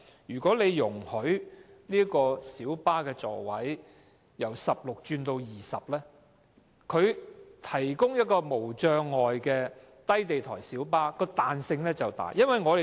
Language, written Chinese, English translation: Cantonese, 如果政府容許小巴座位由16個改為20個，營運商提供無障礙的低地台小巴的彈性便會較大。, If the Government allows the seating capacity of light buses to be increased from 16 to 20 there will be greater flexibility for operators to provide barrier - free low - floor light buses